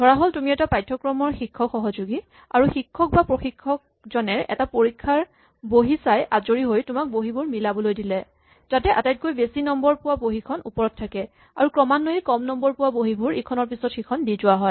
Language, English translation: Assamese, Suppose you are a teaching assistant for a course, and the teacher or the instructor has finished correcting the exam paper and now wants you to arrange them, so that the one with the largest marks the highest marks is on top, the one with the second highest mark is below and so on